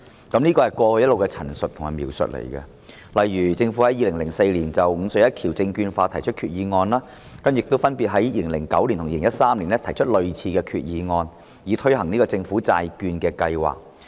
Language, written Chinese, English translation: Cantonese, 這是過去一直的陳述及描述，例如政府於2004年就"五隧一橋"證券化提出決議案，亦分別於2009年及2013年提出類似的決議案，以推行政府債券計劃。, This has been the description and representation given all along . For example the Government proposed the securitization of the five tunnels and one bridge in 2004; then similar Resolutions were moved in 2009 and 2013 respectively in order to launch the Government Bond Programme